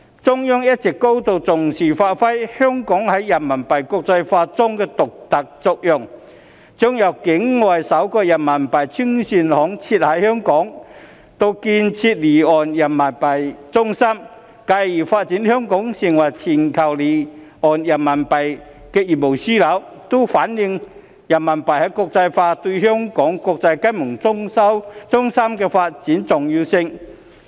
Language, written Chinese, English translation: Cantonese, 中央一直高度重視發揮香港在人民幣國際化中的獨特作用，將境外首個人民幣清算行設於香港，以至建設離岸人民幣中心，繼而發展香港成為全球離岸人民幣業務樞紐，均反映人民幣國際化對香港國際金融中心發展的重要性。, The Central Authorities have always attached great importance to bringing Hong Kongs unique role in RMB internationalization into play . The setting up in Hong Kong of the first RMB Clearing Bank outside the Mainland as well as the development of an offshore RMB centre followed by the development of Hong Kong into a global offshore RMB business hub all of these have reflected the importance of RMB internationalization to the development of Hong Kong as an international financial centre